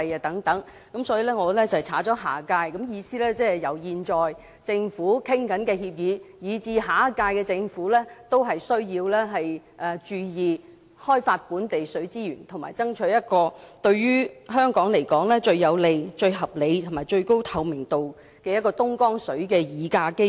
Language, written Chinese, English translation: Cantonese, 因此我刪去"下屆"二字，意思是由現屆政府討論的協議，以至下屆政府均需要注意，要開發本地水資源和爭取對於香港來說，最有利、最合理和最高透明度的東江水議價機制。, As such I propose deleting the phrase next - term meaning that regarding the agreement negotiated by the current term Government or even the next - term Government attention should be paid to developing local water resources and fighting for Hong Kong the most favourable reasonable and transparent Dongjiang water pricing mechanism